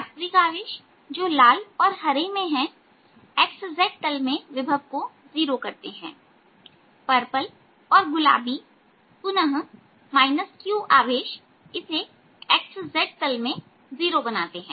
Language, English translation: Hindi, there real charge in red and green make the potential zero on the x z plane and minus q in purple and pink again make it zero on the x z plane